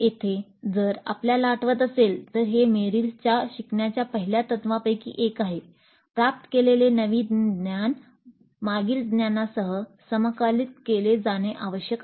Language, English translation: Marathi, If we recall this is also one of the Merrill's first principles of learning that the new knowledge acquired must be integrated with the previous knowledge